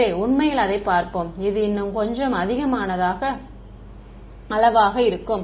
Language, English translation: Tamil, So, let us actually look at it, it will be a little bit more quantitatively ok